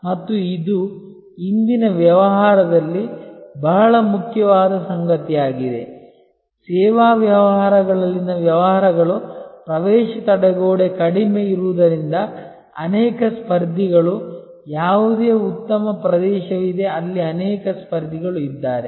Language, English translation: Kannada, And this is something that is very important in today's business, businesses in service businesses entry barrier being low there are many competitors any good area there are many competitors